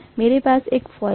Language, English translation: Hindi, I have wound a coil, right